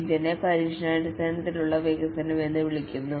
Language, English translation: Malayalam, This is called as test driven development